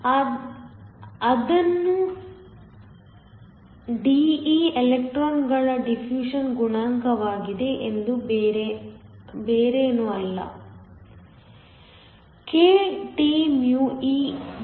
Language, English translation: Kannada, So, De which is the diffusion coefficient of electrons is nothing, but kTee